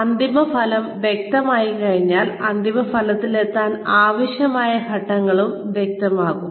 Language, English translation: Malayalam, Once the end result is clear, then the steps, that are required to reach that, end result also become clear